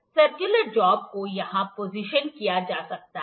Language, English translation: Hindi, The circular job can be positioned here